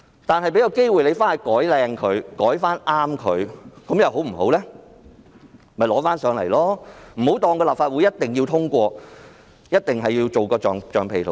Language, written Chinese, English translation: Cantonese, 當局大可再提交新的建議，不要以為立法會一定要通過，一定要當它的橡皮圖章。, A new proposal can always be submitted and the Government should never take it for granted that the Legislative Council will definitely give endorsement to whatever proposals put forward like a rubber stamp